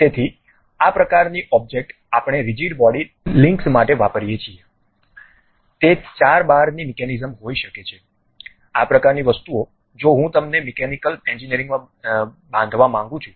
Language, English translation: Gujarati, So, these kind of objects we use it for rigid body links maybe four bar mechanism, this kind of things if I would like to really construct at mechanical engineering